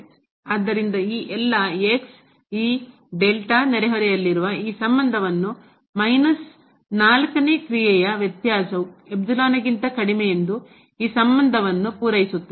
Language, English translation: Kannada, So, all these in this delta neighborhood satisfies this relation that the difference of this function minus 4 is less than the epsilon